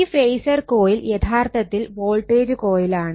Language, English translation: Malayalam, And this phasor coil actually it is a voltage coil